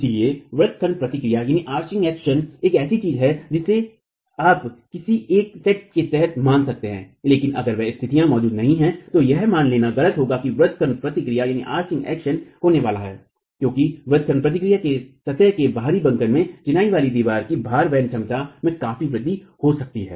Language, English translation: Hindi, So, arching action is something that you can consider under a given set of conditions but if those conditions do not exist it will be erroneous to assume that arching action is going to occur because arching action can significantly increase the load carrying capacity of a masonry wall in in out of plane bending